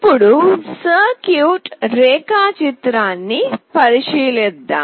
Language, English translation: Telugu, Let us now look into the circuit diagram